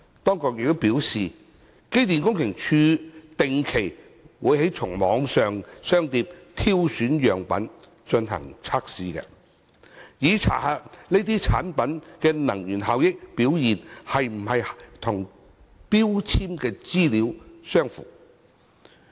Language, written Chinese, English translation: Cantonese, 當局表示，機電工程署定期從網上商店挑選樣本進行測試，以查核有關產品的能源效益表現是否與標籤資料相符。, The Administration has advised that the Electrical and Mechanical Services Department EMSD regularly selects samples of prescribed products supplied through online shops for testing to check whether the products conform with the energy efficiency information listed on their labels